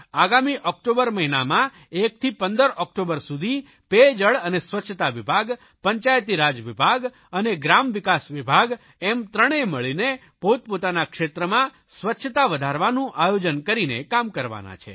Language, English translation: Gujarati, In the coming October month, from 1st October to 15th October, Drinking Water and Sanitation Department, Panchayati Raj Department and Rural Development Department these three are going to work under a designated roadmap in their respective areas